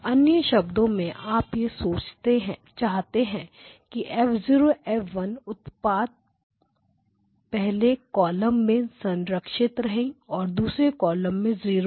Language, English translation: Hindi, So, in other words what you want is the product of F0 F1 with the first column to be preserved and the second column to be to go to 0